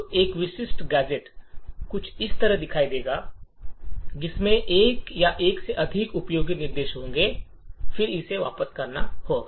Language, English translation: Hindi, So, a typical gadget would look something like this, it would have one or more useful instructions and then it would have a return